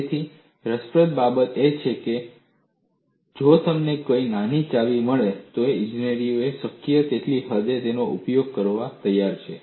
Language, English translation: Gujarati, So, what is interesting is, if you find any small clue, engineers are ready to exploit it to the extent possible